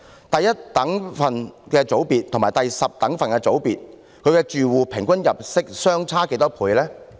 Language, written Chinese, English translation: Cantonese, 第一等分組別和第十等分組別住戶的平均入息是相差多少倍呢？, How many times is the average income of households in the 10 decile group to those of first decile group?